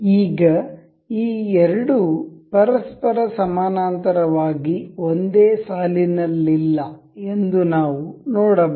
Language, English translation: Kannada, As of now we can see these two are not aligned parallel to each other